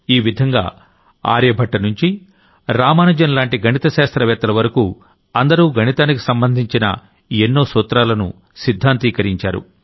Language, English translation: Telugu, Similarly, from mathematicians Aryabhatta to Ramanujan, there has been work on many principles of mathematics here